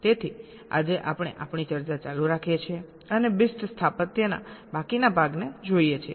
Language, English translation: Gujarati, ok, so today we continue our discussion and look at the remaining part of the bist architecture